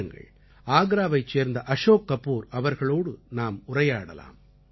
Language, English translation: Tamil, Come let us speak to Shriman Ashok Kapoor from Agra